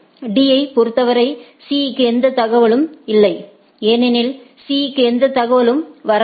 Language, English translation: Tamil, For D, C do not does not have any information because C is not having any information